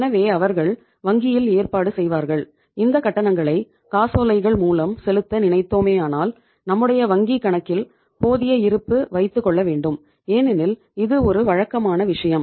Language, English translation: Tamil, So they will make arrangement in the bank so that if they issue the cheque against the bank account so they have a sufficient balance in the account for that because itís a routine matter